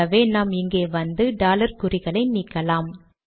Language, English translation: Tamil, What we will do is, lets come here, get rid of these dollar signs